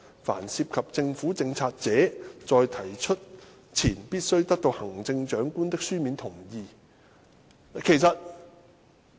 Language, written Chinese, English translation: Cantonese, 凡涉及政府政策者，在提出前必須得到行政長官的書面同意。, The written consent of the Chief Executive shall be required before bills relating to government policies are introduced